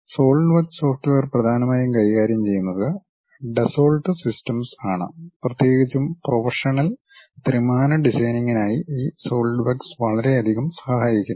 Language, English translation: Malayalam, The Solidworks software mainly handled by Dassault Systemes and especially for professional 3D designing this Solidworks helps a lot